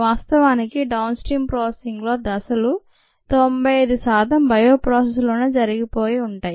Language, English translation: Telugu, in fact, the number of steps in downstream processing could constitute about ninety five percent of the steps in a bioprocess